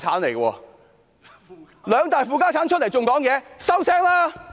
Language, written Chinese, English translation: Cantonese, 兩大"負家產"竟然還敢發言？, Do these two major negative assets still dare to speak?